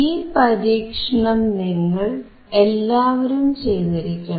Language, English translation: Malayalam, This is an experiment for all of you to perform